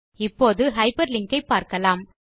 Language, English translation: Tamil, Now lets learn how to hyperlink